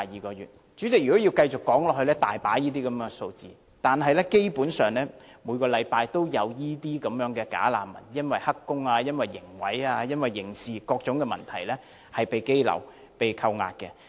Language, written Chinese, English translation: Cantonese, 代理主席，若要繼續說下去，個案真是多不勝數，基本上每個星期均有這些"假難民"因為涉及"黑工"、刑毀、刑事罪行等各種問題而被羈留和扣押的新聞。, Deputy President I can go on since cases like these are just too many to enumerate and basically there are news every week about bogus refugees being detained and held in custody for various reasons like taking up illegal employment involving in criminal damage and criminal offences and so on